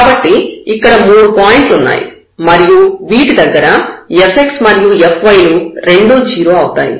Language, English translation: Telugu, So, there are 3 points here which can make this fx and fy both 0 with this possibilities and now we have another one